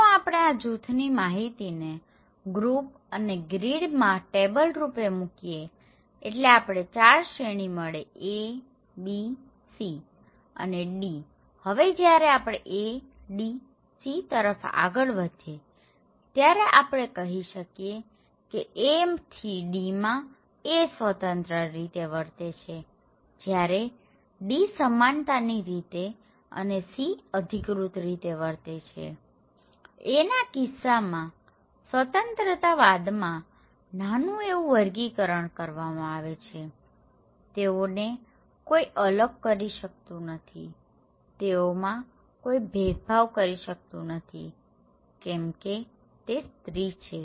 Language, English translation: Gujarati, So, if we put this low group and sorry, group and grid into a cross tabulations, we can get 4 categories; one A, B, C, D, so if we move from A to D to C, we can say that from A to D is A is like individualistic, D is kind of egalitarian and C is like authoritative, some dictators are there and in case of A, it is like little classification and distinctions between individuals are there, they can nobody is segregated or discriminated because they are black because they are women, okay